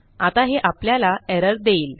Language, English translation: Marathi, Right now, this will return an error